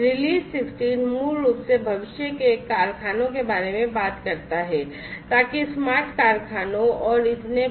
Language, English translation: Hindi, Release 16 basically talks about the factories of the future so smart factories and so on